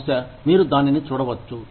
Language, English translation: Telugu, Maybe, you can look it up